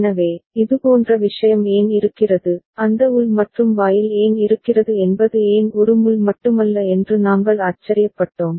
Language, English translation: Tamil, So, we actually were surprised why such thing is there, why that internal AND gate is there why not only one pin